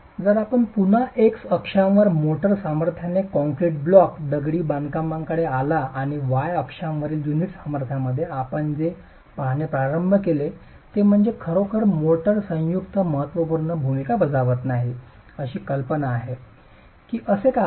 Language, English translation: Marathi, If you come to the concrete block masonry again with the motor strength on the x axis and the unit strength on the y axis, what you start seeing is that really the motor joint is not playing a significant role